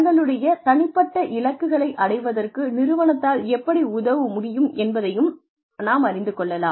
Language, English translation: Tamil, And, how the organization, in turn will help them, achieve their personal goals